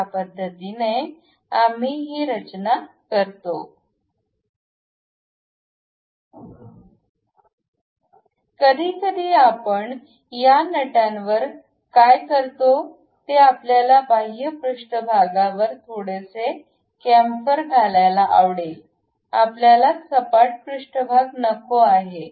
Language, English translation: Marathi, Sometimes what we do is on these nuts, we would like to have a little bit chamfer on the outer surface, we do not want a flat surface